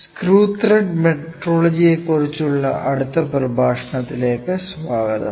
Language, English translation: Malayalam, Welcome to the next lecture on Screw Thread Metrology